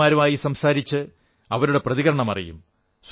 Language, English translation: Malayalam, They will talk to the people there and gather their reactions